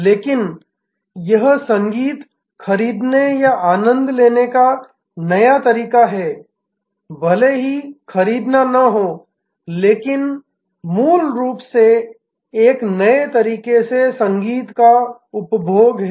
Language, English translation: Hindi, But, this is a new way of buying or enjoying music may be even not buying, but basically consumption of music in a new way